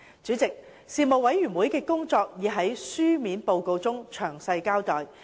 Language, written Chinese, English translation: Cantonese, 主席，事務委員會的工作已在書面報告中詳細交代。, President a detailed account of the work of the Panel can be found in the written report